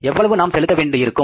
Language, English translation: Tamil, How much we have to pay